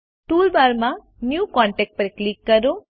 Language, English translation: Gujarati, In the toolbar, click New Contact